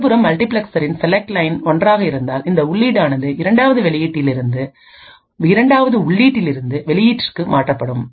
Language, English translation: Tamil, On the other hand, if the select line of the multiplexer is set to 1 then the input present at the 2nd input that is this input would be switched at the output